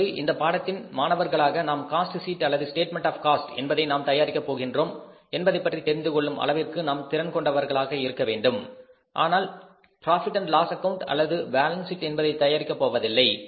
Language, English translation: Tamil, Now as a student of this subject we must be capable of identifying that we are going to prepare the cost sheet or the statement of the cost not the profit and loss account or the balance sheet